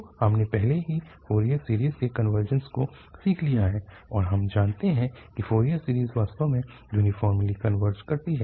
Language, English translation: Hindi, So, we have learnt already the convergence of the Fourier series and we know that the Fourier series converges uniformly indeed